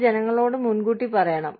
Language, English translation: Malayalam, It has to be told to people, ahead of time